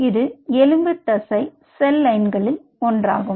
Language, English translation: Tamil, this is one of the skeletal muscle cell lines